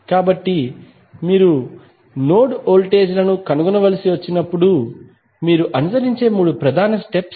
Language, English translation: Telugu, So, these would be the three major steps which you will follow when you have to find the node voltages